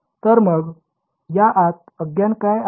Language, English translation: Marathi, So, then what are the unknowns inside this